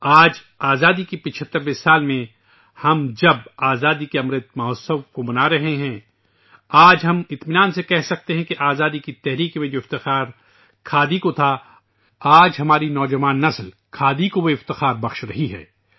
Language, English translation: Urdu, Today in the 75 th year of freedom when we are celebrating the Amrit Mahotsav of Independence, we can say with satisfaction today that our young generation today is giving khadi the place of pride that khadi had during freedom struggle